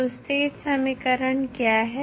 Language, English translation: Hindi, So, what is the state equation